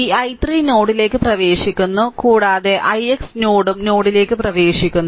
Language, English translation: Malayalam, So, this i 3 also entering into the node, and i x node also entering into the node